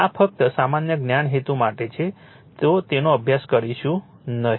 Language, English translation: Gujarati, This is just for purpose of general knowledge will not study that